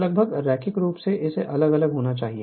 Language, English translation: Hindi, So, almost linearly it should vary